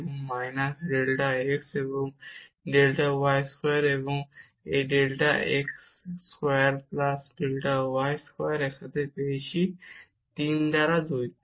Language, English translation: Bengali, So, we get precisely this minus 2 times, this delta x square and this delta y there, and minus delta x and delta y square, and this delta x square plus delta y square together with this you will get this power 3 by 2